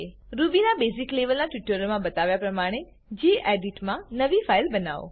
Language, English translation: Gujarati, Create a new file in gedit as shown in the basic level Ruby tutorials